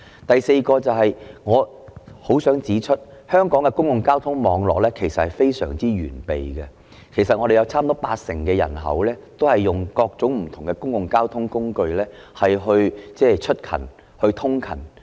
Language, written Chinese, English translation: Cantonese, 第四，我很想指出，香港的公共交通網絡非常完備，差不多有八成人口使用各種不同的公共交通工具通勤。, Fourthly I wish to point out that the public transport network in Hong Kong is so well developed that almost 80 % of the population commute by various means of public transport